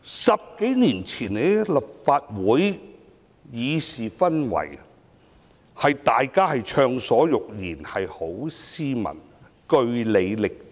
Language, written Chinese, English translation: Cantonese, 十多年前的立法會的議事氛圍是大家暢所欲言，十分斯文，據理力爭。, Ten years or so ago the parliamentary atmosphere of the Legislative Council was one where Members spoke their mind freely and argued their cases vigorously in utmost civility